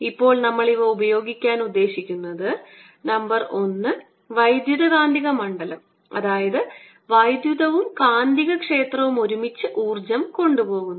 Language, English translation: Malayalam, what we want to use these now for is to show that number one, the electromagnetic field, that means electric and magnetic field together transport energy